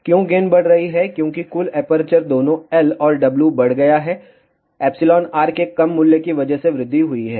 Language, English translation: Hindi, Why gain is increasing, because total aperture has increased both L and W have increased because of the low value of the epsilon r